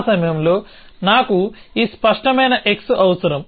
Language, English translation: Telugu, So, I need this clear x at that point